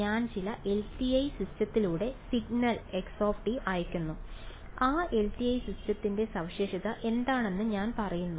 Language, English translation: Malayalam, I send signal x through some LTI system and I say that what is that LTI system characterized by